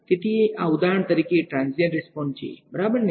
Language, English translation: Gujarati, So, this is for example, transient responses ok